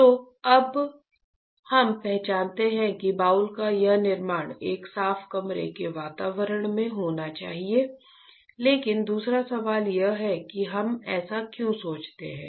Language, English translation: Hindi, So, now we identify that this fabrication of boule should be in a clean room environment right, but the second question is why we think so